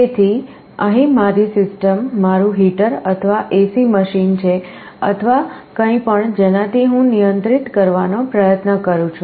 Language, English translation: Gujarati, So, my system here is my heater or AC machine or whatever I am trying to control